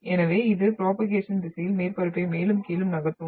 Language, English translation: Tamil, So it will move surface up and down in the direction of propagation